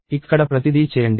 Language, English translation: Telugu, Do everything here